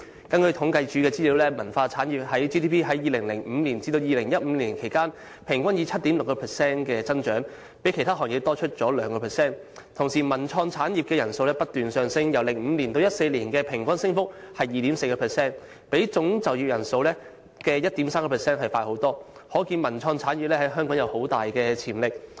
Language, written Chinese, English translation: Cantonese, 根據政府統計處資料，文化產業的 GDP 在2005年至2015年間平均以 7.6% 增長，比其他行業多出約 2%； 同時文化及創意產業的就業人數不斷上升，由2005年至2014年的平均升幅為 2.4%， 比總就業人數的 1.3% 為快，可見文化及創意產業在香港有很大潛力。, According to the Census and Statistics Department the annual average increase of the GDP of cultural industry was 7.6 % from 2005 to 2015 which had exceeded any other industry by 2 % . At the same time the number of persons engaged in the cultural and creative industry was on the rise constantly and the annual average increase was 2.4 % from 2005 to 2014 which was faster than the 1.3 % growth of the total employment . One can see that the cultural and creative industry in Hong Kong has a great development potential